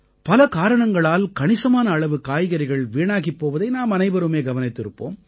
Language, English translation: Tamil, All of us have seen that in vegetable markets, a lot of produce gets spoilt for a variety of reasons